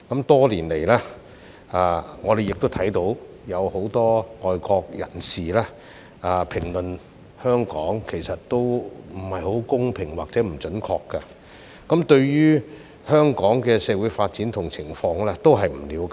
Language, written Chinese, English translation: Cantonese, 多年來，我們看到很多外國人對香港的評論其實都有欠公平或不準確，他們對於香港社會的發展及情況亦不了解。, Over the years we have seen many unfair or inaccurate comments made on Hong Kong by foreigners who do not understand the development and situation of Hong Kongs society